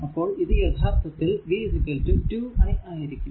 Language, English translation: Malayalam, So, v 3 actually is equal to 12 i 3